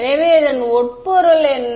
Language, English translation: Tamil, So, what is the implication